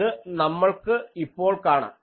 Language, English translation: Malayalam, That we will now see